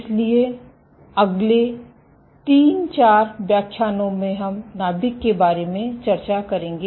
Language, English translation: Hindi, So, over the next 3, 4 lectures we will discuss about the nucleus